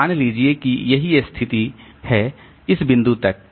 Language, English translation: Hindi, So, suppose this is the situation